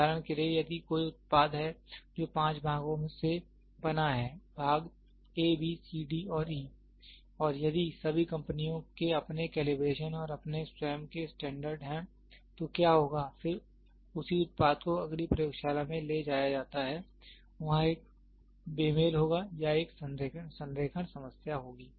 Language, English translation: Hindi, For example, if there is a product which is made up of 5 parts; part A, B, C, D and E and if all the companies have their own calibration and their own standards, then what will happen is then the same product is moved to the next laboratory, there will be a mismatch of or there will be an alignment problem